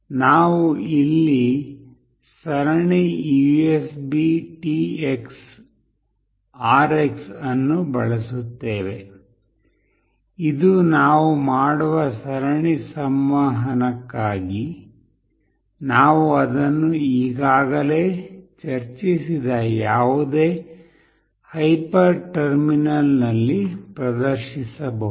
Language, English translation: Kannada, We use here serial USBTX RX, this is for serial communication that we do such that we can display it in the any of the hyper terminal, which we have already discussed